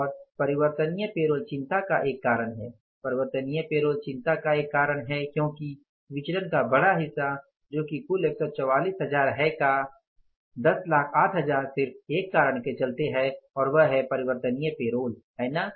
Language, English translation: Hindi, Variable payroll is the cause of concern because the larger part of the variances that is of the total 144,000s, 108,000 have occurred because of the one reason that is the variable payrolls